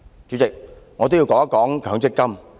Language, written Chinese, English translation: Cantonese, 主席，我也想說說強積金。, President I also wish to talk about MPF